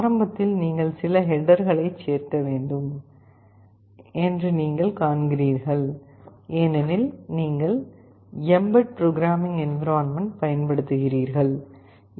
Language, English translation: Tamil, You see at the beginning you have to include some headers, because you are using the bed programming environment, mbed